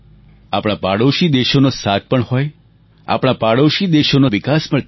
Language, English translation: Gujarati, May our neighbouring countries be with us in our journey, may they develop equally